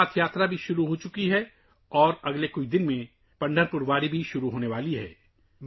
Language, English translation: Urdu, The Amarnath Yatra has also commenced, and in the next few days, the Pandharpur Wari is also about to start